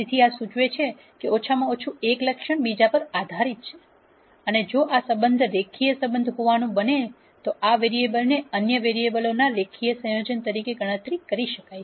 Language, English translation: Gujarati, So, this implies that at least one attribute is dependent on the other and if this relationship happens to be a linear relationship then this variable can be calculated as a linear combination of the other variables